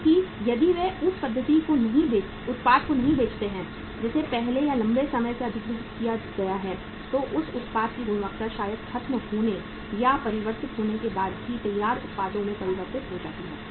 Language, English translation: Hindi, Because if they do not sell the product which has been acquired first or long back then the quality of that product maybe even after finishing or converting that into the finished products goes down